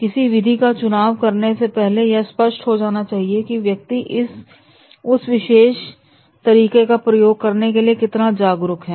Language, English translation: Hindi, So, in choosing a method, it should be very clear that the person how much he is aware about using that particular method